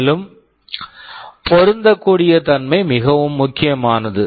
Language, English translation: Tamil, And compatibility is very important